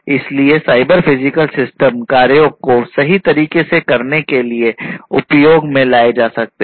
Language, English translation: Hindi, So, cyber physical systems can find use to perform the tasks accurately, you know